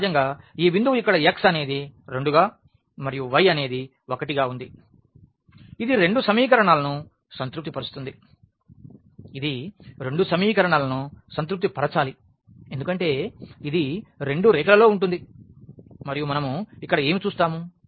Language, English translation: Telugu, So, naturally this point where x is 2 and y is 1 it satisfies both the equation; it must satisfy both the equations because, it lies on both lines and what else we see here